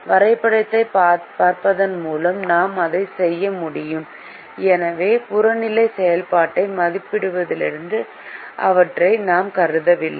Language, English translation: Tamil, by looking at the graph we can do that and therefore we did not consider them for evaluating the objective function